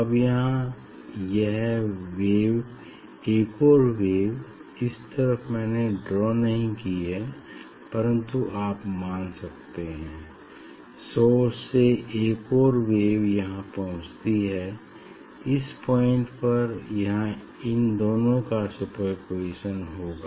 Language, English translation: Hindi, Now, this slide this wave and another wave I have not drawn this way, but you can consider another wave from the source reaching here, at this point there will be superposition of these two